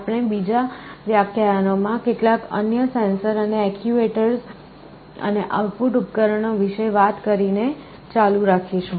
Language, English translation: Gujarati, We shall be continuing by talking about some other sensors and actuators, and output devices in the next lectures